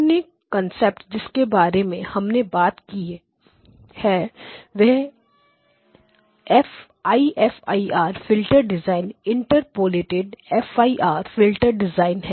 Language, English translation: Hindi, The other concept that we talked about is IFIR filter design Interpolated FIR filter design